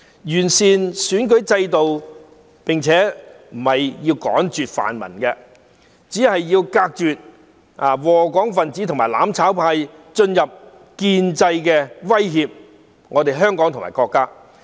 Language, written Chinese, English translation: Cantonese, 完善選舉制度並不是要趕絕泛民，只是要隔絕禍港分子和"攬炒派"進入建制威脅香港和國家。, Improving the electoral system is not to eradicate the pan - democrats; it is only to preclude those scourging Hong Kong and the mutual destruction camp from entering the establishment to threaten Hong Kong and the country